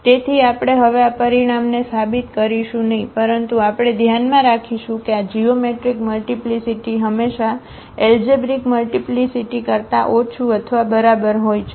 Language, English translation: Gujarati, So, we will not prove this result now, but we will keep in mind that this geometric multiplicity is always less than or equal to the algebraic multiplicity